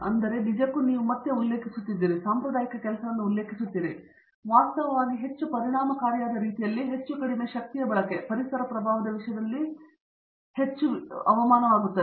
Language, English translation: Kannada, So, that all of this is actually again you are doing quote and quote traditional work, but actually at a much more efficient way, much more much less energy consumption, may be much more demine in terms of environmental impact